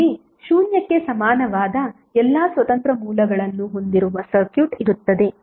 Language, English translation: Kannada, Here the circuit with all independent sources equal to zero are present